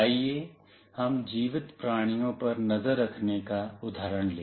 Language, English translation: Hindi, Let us take the example of tracking living beings